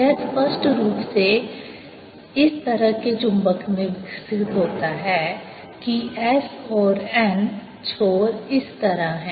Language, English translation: Hindi, this obviously develops in such a magnet that s and n ends are like this